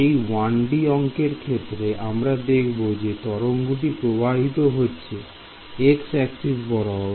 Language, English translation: Bengali, So, this is the 1D problem; that means, the wave is going like this along the x direction right